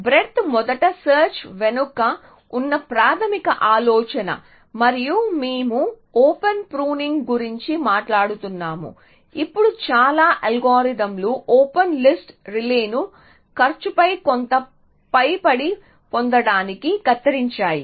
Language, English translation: Telugu, So, the basic idea behind breadth first and we are talking about pruning open, now most algorithms which prune the open list relay on getting some upper bound on the cost essentially